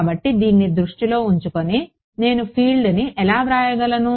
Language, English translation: Telugu, So, with this in mind how do I write the field